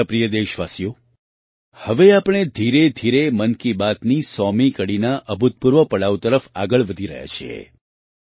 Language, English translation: Gujarati, My dear countrymen, now we are slowly moving towards the unprecedented milestone of the 100th episode of 'Mann Ki Baat'